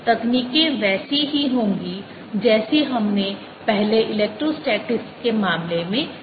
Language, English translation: Hindi, these materials techniques are going to be similar to what we did earlier in the case of electrostatics